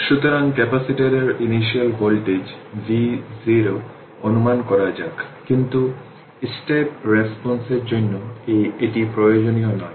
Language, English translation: Bengali, So, let us assume when initial voltage V 0 on the capacitor, but this is not necessary for the step response right